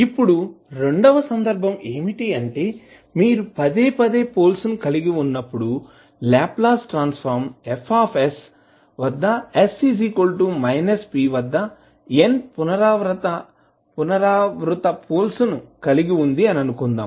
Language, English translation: Telugu, Now, second case is that when you have repeated poles, means suppose if the Laplace Transform F s has n repeated poles at s is equal to minus p